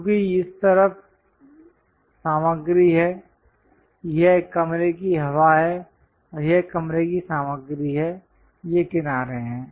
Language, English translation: Hindi, Because there is a material on this side this is the room air and this is the room material, these are the edges